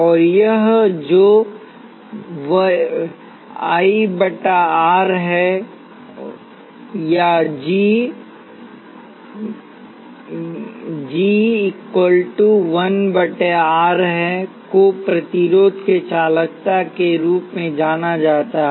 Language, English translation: Hindi, And this G, which is 1 by R is known as the conductance of the resistor